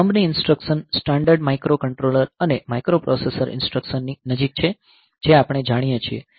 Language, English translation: Gujarati, Thumb instructions are more close to the standard microcontroller and microprocessor instructions that we are familiar with